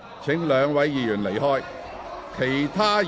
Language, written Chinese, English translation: Cantonese, 請兩位議員離開會議廳。, Will the two Members please leave the Chamber